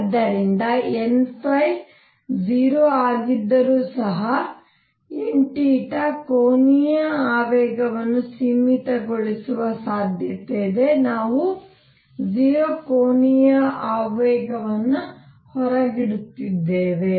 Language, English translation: Kannada, So, that even if n phi is 0 there is a possibility of n theta having the angular momentum being finite we are excluding 0 angular momentum